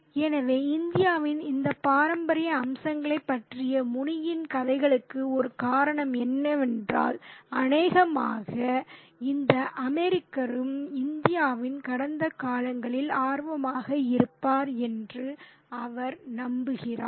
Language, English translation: Tamil, So, perhaps one of the reasons for Muni's narratives about all these traditional aspects of India is that he believes that probably this American would also be interested in the past of India